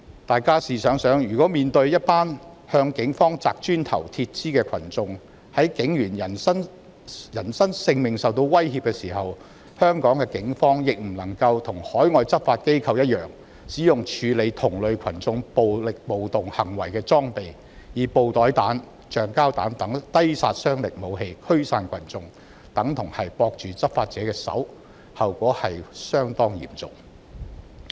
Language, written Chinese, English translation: Cantonese, 大家試想想，香港警方如面對向警方擲磚頭和鐵枝的群眾，警員在人身性命受威脅的時候卻不能跟海外執法機構一樣，使用處理同類群眾暴力暴動行為的裝備，以布袋彈、橡膠彈等低殺傷力武器驅散群眾，這等同綁着執法者的手，後果可以相當嚴重。, Just think when Hong Kong police officers have to face people who hurl bricks and metal poles at them and their personal safety is at stake if they cannot use the accoutrements used by overseas law enforcement agencies to handle similar violent acts of rioters such as non - lethal weapons like bean bag rounds rubber bullet to disperse the crowds the consequences can be rather serious as that is tantamount to tying up the hands of the law enforcement officers . By then the so - called dangerous state of anarchy might come true . Last Friday a huge group of protesters suddenly without any prior warning besieged the Police Headquarters for almost 16 hours